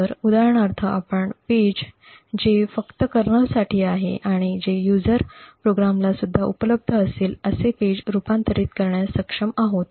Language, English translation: Marathi, So, we would for example be able to convert a page which is meant only for the kernel to be accessible by user programs also